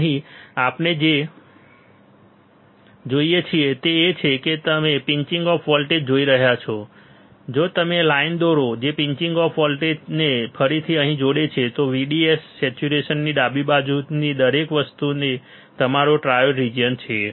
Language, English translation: Gujarati, Here what we see here what we see is that if you see the pinch off voltage, if the and if you draw line which interconnects a pinch off voltage back to here, everything on the left side of the VDS saturation is your triode region is your triode region ok